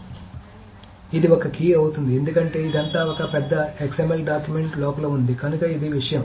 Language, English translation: Telugu, So this itself becomes a key because that is this is all inside one big XML document